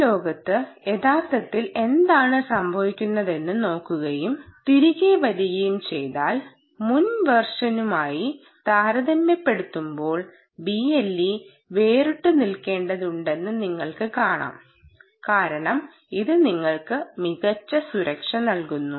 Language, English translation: Malayalam, so if you go, if you look at what has actually happening in this world and come back, you will see that b l e had to stand out compared to previous versions because it provides you superior security